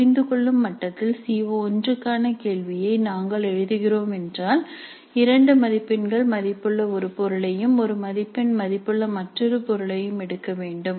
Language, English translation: Tamil, So if we are composing a question for CO1 at the understand level we need to pick up one item worth two marks and another item worth one mark